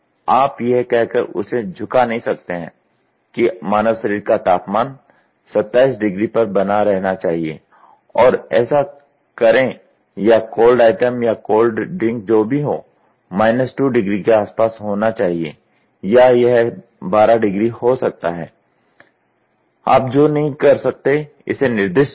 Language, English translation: Hindi, You cannot nail it by saying that the temperature of the human body should be maintained at 27 degrees do this and or the cold item or the cold drink whatever I am it has to be around minus 2 degrees or it can be 12 degrees, you cannot specify it